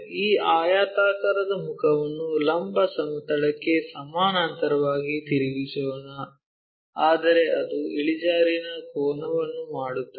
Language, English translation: Kannada, Let us rotate this rectangular face not parallel to vertical plane, but it makes an inclination angle